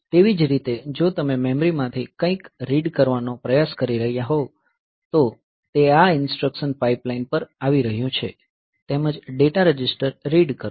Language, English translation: Gujarati, Similarly, if you are trying to read something from the memory then this is coming to this instruction pipeline as well as read data register